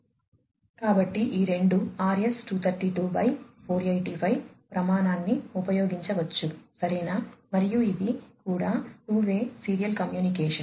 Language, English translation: Telugu, So, these two can use the RS 232/485 standard, right and this is also two way serial communication